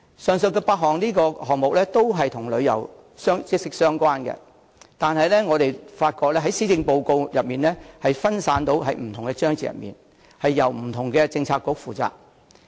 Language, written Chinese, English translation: Cantonese, 上述8個項目均與旅遊業息息相關，但卻分散在施政報告的不同章節內，由不同政策局負責。, The above eight initiatives are closely related to the tourism industry but they are included in different parts and paragraphs of the Policy Address and will be taken forward by different Policy Bureaux